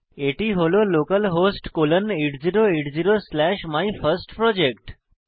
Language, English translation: Bengali, It is localhost colon 8080 slash MyFirstProject